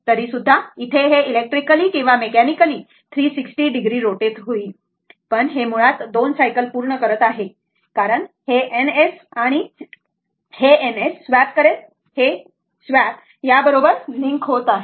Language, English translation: Marathi, Although, it will rotate electrically or mechanically 360 degree, but it will basically complete 2 cycle because it will swap swipe N S and N S, this swipe has to link